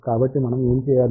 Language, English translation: Telugu, So, what we need to do it is